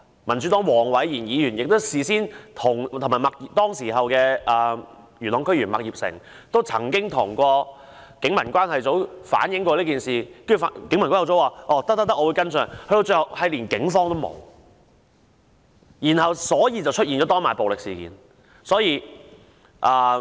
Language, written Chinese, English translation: Cantonese, 民主黨的黃偉賢議員及當時的元朗區議員麥業成事發前亦曾向警民關係組反映有此消息，警民關係組告知會作跟進，但警方最後並無出現，以致發生當晚的暴力事件。, Mr Zachary WONG of the Democratic Party and the then District Council member Mr Johnny MAK had in the meanwhile relayed this to PCRO which responded that they would follow up . However the Police eventually did not show up leading to the violent incident that night